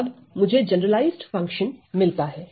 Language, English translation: Hindi, Then what I have is that my generalized function